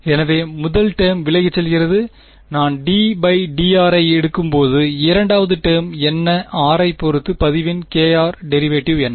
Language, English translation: Tamil, So the first term goes away, when I take the d by d r second term will give me what, what is the derivative of log k r with respect to r